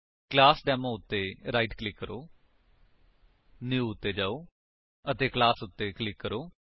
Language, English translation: Punjabi, So, right click on ClassDemo, go to New and click on Class